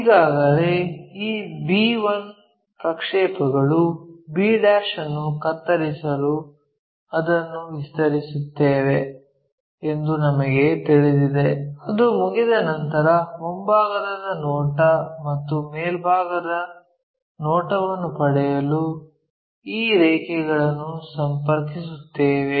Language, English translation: Kannada, Already, we know this projection b 1 extend it to make cut b 1 also we know extend it make a cut, once it is done we connect these lines to get front view and top view